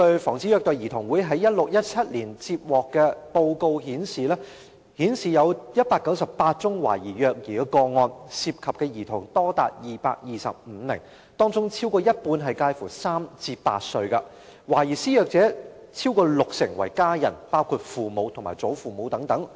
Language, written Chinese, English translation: Cantonese, 防止虐待兒童會在 2016-2017 年度的報告顯示，該年度接獲198宗懷疑虐兒個案，涉及的兒童多達225名，當中超過一半介乎3歲至8歲，懷疑施虐者逾六成為家人，包括父母和祖父母等。, According to the 2016 - 2017 Annual Report of Against Child Abuse in that year 198 cases of suspected child abuse were received involving 225 children with half of them being aged between three and eight years and over 60 % of the suspected abusers were family members including parents and grandparents